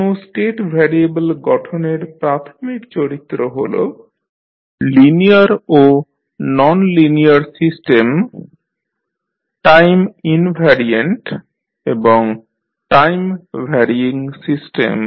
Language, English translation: Bengali, The basic characteristics of a state variable formulation is that the linear and nonlinear systems, time invariant and time varying system